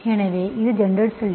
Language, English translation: Tamil, So this is the general solution